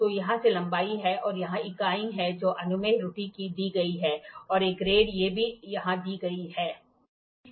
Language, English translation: Hindi, So, here these are the lengths and here is the units which the permissible error which is given and a grade these are also given here